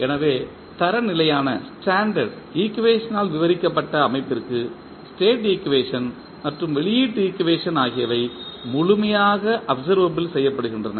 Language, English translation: Tamil, So, for the system described by the standard equation, state equation and the output equation can be completely observable